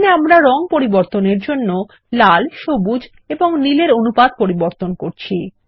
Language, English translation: Bengali, Here we are changing the proportion of red, green and blue to change the color